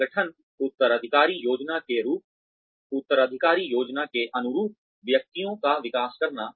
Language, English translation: Hindi, Develop individuals, in line with organization succession planning